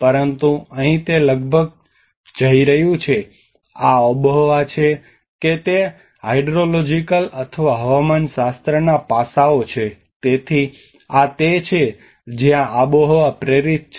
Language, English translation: Gujarati, But whereas here it is going almost these are climatically whether it is a hydrological or meteorological aspects so this is where the climate induced